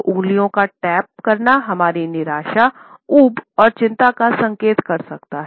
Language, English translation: Hindi, So, drumming or tapping the fingers can indicate our frustration, our boredom and anxiety